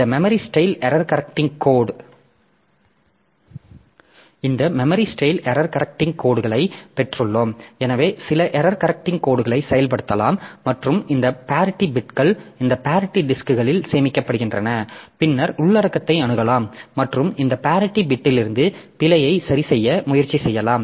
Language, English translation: Tamil, Then we have got this memory style error correcting code so we can have some error correcting codes implemented and this parity bits they are stored in this parity disks and then we can just access the content and from this parity bits so we can try to rectify the error